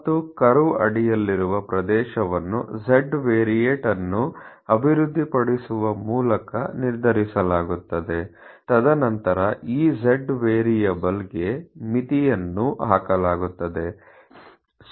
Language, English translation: Kannada, And the area under the curve is determined by developing a z variate, and then putting limits to this z variable